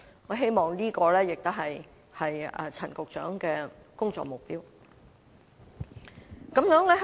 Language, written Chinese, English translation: Cantonese, 我希望這亦是陳局長的工作目標。, I hope this is also a work objective of Secretary Frank CHAN